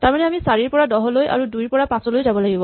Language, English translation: Assamese, So, we have to go from 4 to 10 and from 2 to 5